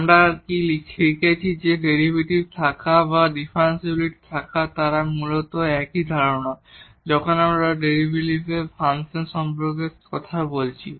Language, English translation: Bengali, What else we have learned that having the derivative or having the differentiability they are basically the same concept when we are talking about function of one variable